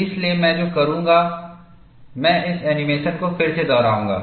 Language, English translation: Hindi, So, what I will do is, I will replay this animation again